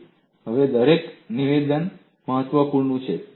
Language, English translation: Gujarati, Every statement here is important